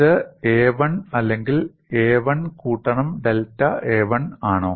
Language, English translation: Malayalam, Is it a 1 or a 1 plus delta a 1